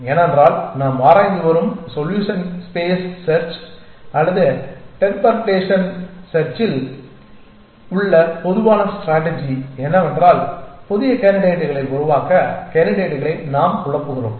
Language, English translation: Tamil, Because the general strategy in solution space search or perturbation search that we are exploring is that we perturb candidates to produce new candidates